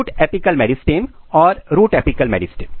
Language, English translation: Hindi, Shoot apical meristem and root apical meristem